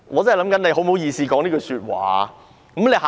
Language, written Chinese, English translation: Cantonese, 她怎麼好意思說這句話呢？, How could she have the nerve to say that?